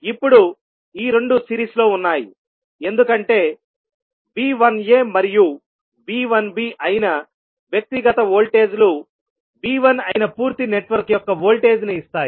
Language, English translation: Telugu, Now, these two are in series because the individual voltages that is V 1a and V 1b add up to give the voltage of the complete network that is V 1